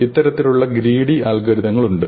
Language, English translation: Malayalam, These kind of greedy algorithms are rare